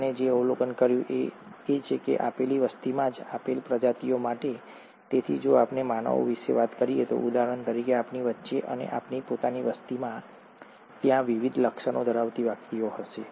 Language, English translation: Gujarati, What he observed is that, in a given population itself, for a given species, so if we talk about humans for example, among ourselves and in our own population, there will be individuals with different features